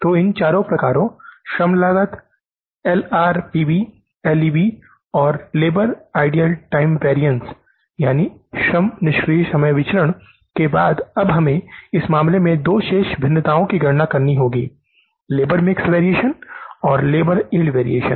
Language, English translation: Hindi, So, after working out these four variances, labor cost LRP, LEB and the labor idle time variance, now we have to calculate the two remaining variances in this case, labor mixed variance and the labor yield variance